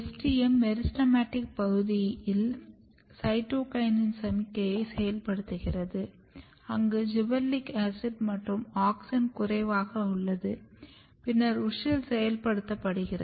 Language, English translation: Tamil, So, what is happening STM is activating cytokinin signaling in the meristematic region, where gibberellic acid is low auxin is low, then WUSCHEL is getting activated